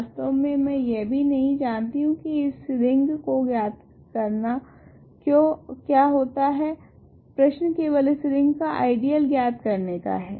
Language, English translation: Hindi, In fact, I do not even know what it means to know this ring, the question is only to determine the ideals of the ring ok